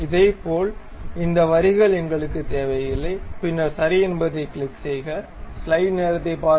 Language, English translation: Tamil, Similarly, we do not really require these lines, then click ok